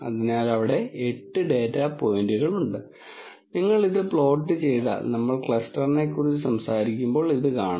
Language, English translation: Malayalam, So, there are 8 data points and if you simply plot this you would you would see this and when we talk about cluster